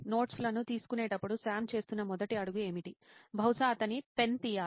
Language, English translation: Telugu, So what would be the first step Sam would be doing while taking down notes, probably take out his pen